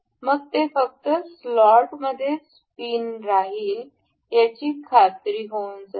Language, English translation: Marathi, Then it will ensure the pin to remain in the slot its only